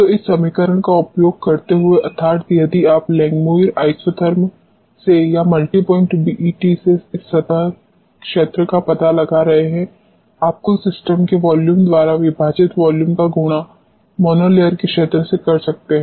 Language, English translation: Hindi, So, using this equation that is if you are finding out this surface area from the Langmuir isotherm or from the multi point BET you can use the volume divided by the volume of the total system into the area of mono layer